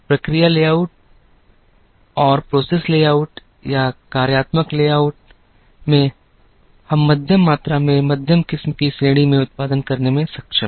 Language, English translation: Hindi, In process layout or functional layout, we are able to produce in the middle volume middle variety category